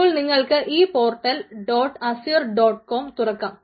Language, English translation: Malayalam, you can open this portal, dot azure dot com